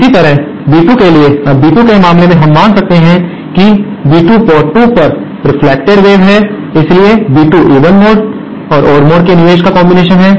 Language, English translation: Hindi, Similarly for B2, now in the case of B2, we can assume that B2 is the reflected wave at port 2, so B2 is the combination of the input of the even mode and the odd mode